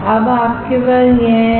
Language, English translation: Hindi, Now you have this